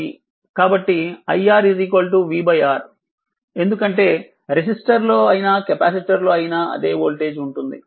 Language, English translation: Telugu, So, i R is is equal to v upon R right because same voltage that was the capacitor across a resistor